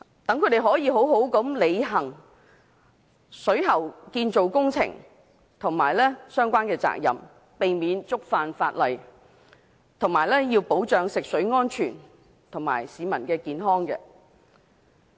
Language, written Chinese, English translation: Cantonese, 這樣有助他們，妥善進行水喉建造工程和好好履行相關責任，避免觸犯法例，並保障食水安全和市民健康。, The knowledge enhancement is helpful for effectively carrying out the plumbing works and the proper and lawful performance of their relevant duties thus ensuring the drinking water safety and safeguarding public health